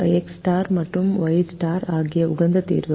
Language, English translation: Tamil, x star and y star are the optimum solutions